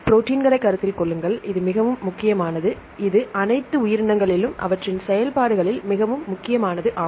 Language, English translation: Tamil, Then consider the proteins this is extremely important it is extremely versatile in their functions in all living organisms